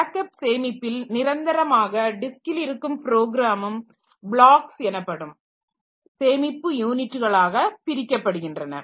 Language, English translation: Tamil, So, this backing store where the program is permanently residing is also split into storage units called blocks